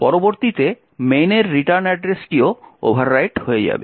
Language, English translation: Bengali, next the return address to main would also get overwritten